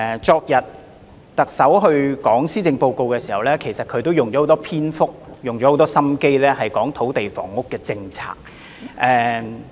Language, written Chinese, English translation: Cantonese, 昨天特首宣讀施政報告時，她花了很多篇幅用心闡述土地房屋政策。, Yesterday when the Chief Executive delivered the Policy Address she elaborated her land and housing policies at great length